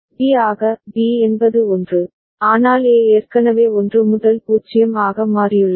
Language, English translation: Tamil, B as B is 1, but A has already change from 1 to 0